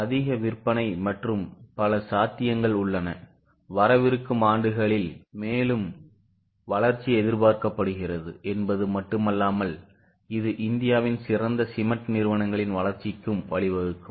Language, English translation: Tamil, Not only that more growth is further expected in coming years which will also lead to growth of the top cement companies in India